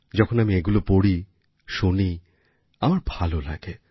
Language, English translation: Bengali, When I read them, when I hear them, it gives me joy